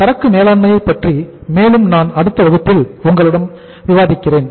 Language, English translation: Tamil, More about the inventory management I will discuss with you in the next class